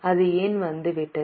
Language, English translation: Tamil, Why has it come down